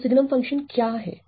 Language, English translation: Hindi, So, what is sign function